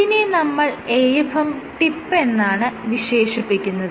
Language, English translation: Malayalam, This in short it is referred to as AFM